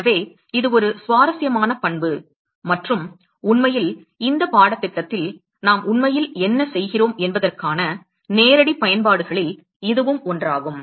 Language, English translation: Tamil, So, it is an interesting property and in fact, it is one of the direct applications of what we are actually going through in this course